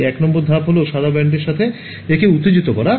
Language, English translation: Bengali, So, the step 1 is excite it with the white band ok